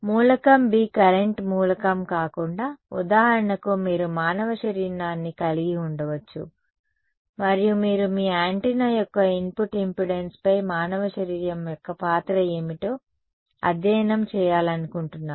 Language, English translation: Telugu, Instead of element B being a current element, you could have, for example, a human body and you wanted to study what is the role of a human body on the input impedance of your antenna you are holding a mobile phone over here close to your head